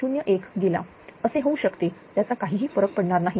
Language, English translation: Marathi, 01 it can also happen does not matter